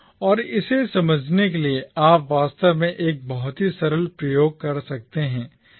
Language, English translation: Hindi, And to understand this, you can actually perform a very simple experiment